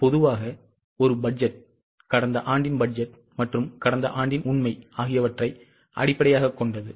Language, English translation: Tamil, Typically a budget is based on last year's budget and last year's actual